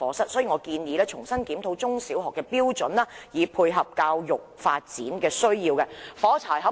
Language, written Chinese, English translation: Cantonese, 因此，我建議重新檢討中小學課室的標準，以配合教育發展的需要。, Thus I suggest a review be conducted on the standards for provision of classrooms in primary and secondary schools in order to meet the needs of education development